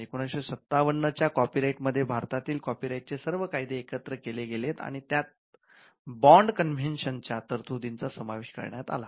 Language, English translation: Marathi, The copyright act of 1957 consolidates the law on copyright in India and it incorporates provisions of the bond convention